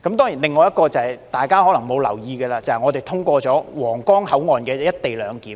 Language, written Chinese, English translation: Cantonese, 另外一件事情是大家可能沒有留意的，便是我們通過了於皇崗口岸實施的"一地兩檢"措施。, Another thing Members may not have noticed is that we have approved the implementation of the co - location arrangement at the Huanggang Port